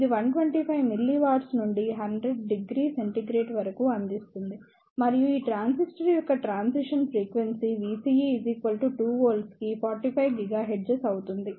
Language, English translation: Telugu, It provides the 125 milliwatt power to 100 degree centigrade and the transition frequency for this transistor is 45 gigahertz for V CE is equal to 2 volts